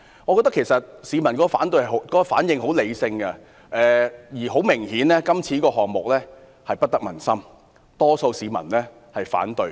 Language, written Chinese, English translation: Cantonese, 我認為市民的反應十分理性，這個項目顯然不得民心，多數市民均表示反對。, I think public response has been very rational . This project is obviously not popular among the public and a majority of people have expressed their opposition